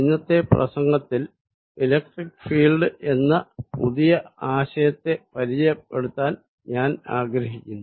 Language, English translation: Malayalam, In today's lecture, we want to introduce a new idea called the electric field